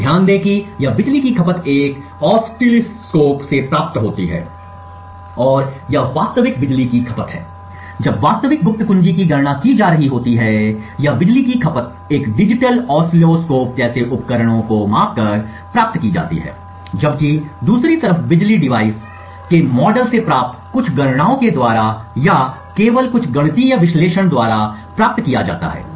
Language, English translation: Hindi, So note that this power consumption is obtained from an oscilloscope and it is the real power consumption when the actual secret key is being computed upon, so this power consumption is obtained by measuring instruments such as a digital oscilloscope, while on the other hand the power obtained from the model of the device is obtained just by some calculations or just by some mathematical analysis